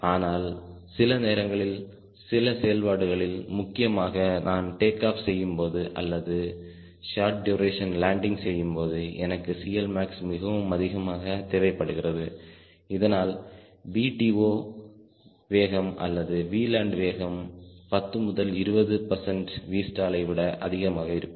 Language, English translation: Tamil, but for some time, some part of the operations, especially when i am taking off or landing, for the short duration, i would like c l max to be as higher as possible so that by v takeoff speed or v landing speed, which is just um ten or twenty percent more than v stall, is also low